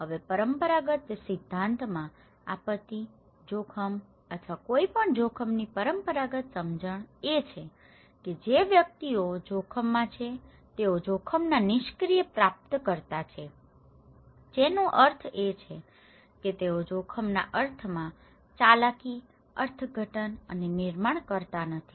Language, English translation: Gujarati, Now, in the conventional theory, conventional understanding of disaster risk or any risk is that individuals who are at risk they are the passive recipient of risk that means, they do not manipulate, interpret, construct the meaning of risk